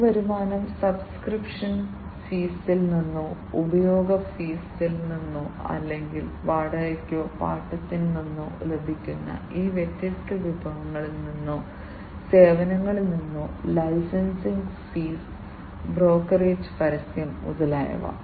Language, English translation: Malayalam, These revenues could be generated from sales of assets from subscription fees, from usage fees or, from fees, that are obtained from the rental or the leasing out of these different resources or the services, the licensing fees, the brokerage, the advertising, etcetera